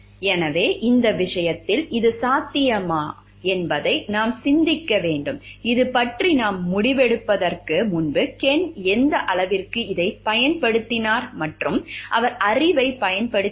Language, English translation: Tamil, So, like, whether like it is possible to in this case, In this case we have to think like what are the possible points, like to what extent Ken have used this before we come to conclusion about this and has he used the knowledge